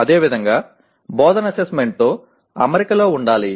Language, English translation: Telugu, Similarly, instruction should be in alignment with the assessment